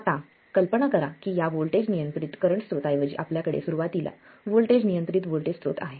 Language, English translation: Marathi, We have seen how to make a voltage controlled voltage source as well as a current controlled voltage source